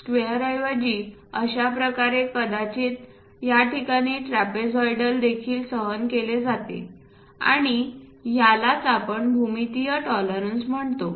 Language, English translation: Marathi, Such kind of thing instead of having a square perhaps this trapezoidal kind of thing is also tolerated and that is what we call geometric tolerances